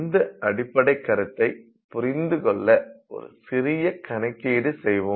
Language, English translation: Tamil, So, to understand that let's do a small calculation